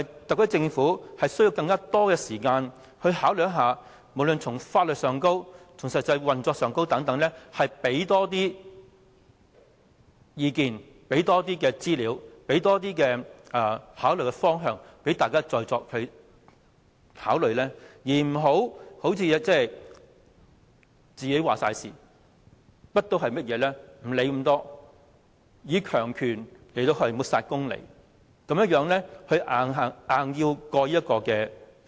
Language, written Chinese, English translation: Cantonese, 特區政府是否需要更多時間考慮，無論從法律觀點或實際運作上，提供更多意見、資料和方向讓大家再作考慮，而不要全權作主，甚麼都不理會，以強權抹煞公理，強行通過《條例草案》？, Should the Government take more time to consider the issues from the legal perspective or actual operation and provide more opinions information and directions to be reconsidered by the public instead of being autocratic disregarding all others views suppressing all justice and pushing the Bill through?